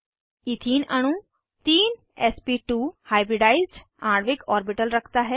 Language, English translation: Hindi, Ethene molecule has three sp2 hybridized molecular orbitals